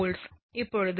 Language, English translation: Tamil, So, when it is 0